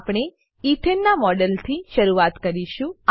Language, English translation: Gujarati, We will begin with a model of Ethane